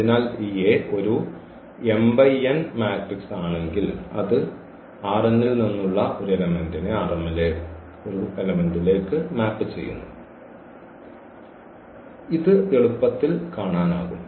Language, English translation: Malayalam, So, if this A is m cross n matrix then it maps element form R n to one element in R m and this one can see easily